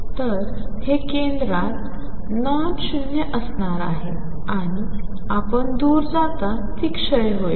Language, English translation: Marathi, So, it is going to be nonzero at the center and will decay as you go far away